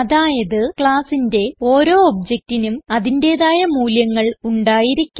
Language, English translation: Malayalam, In other words each object of a class will have unique values